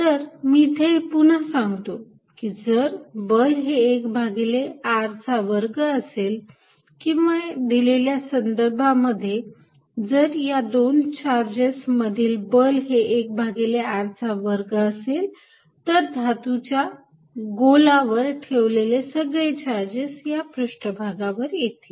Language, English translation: Marathi, So, I state again if a force is 1 over r square dependent or if this particular case of the electric force between charges is 1 r square dependent, all the charges that we put on a metallic sphere will come to the surface